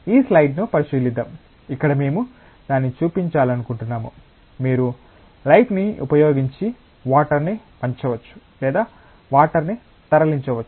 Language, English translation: Telugu, Like let us look into this slide, where we intend to show that, you can bend water or move water by using light